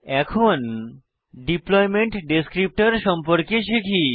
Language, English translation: Bengali, Now let us learn about what is known as Deployment Descriptor